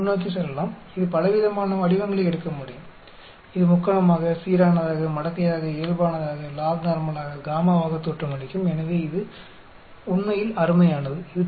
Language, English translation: Tamil, Let us go forward, it can take a wide variety of shapes, it can look like Triangular, Uniform, Exponential, Normal, Lognormal, Gamma so it is fantastic actually